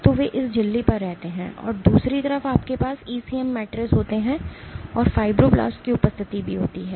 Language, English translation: Hindi, So, they lie on this membrane on this membrane and on the other side you have ECM matrices and also the presence of fibroblasts